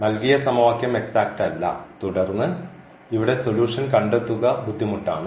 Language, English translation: Malayalam, So, the given equation is not exact and then it is difficult to find the solution here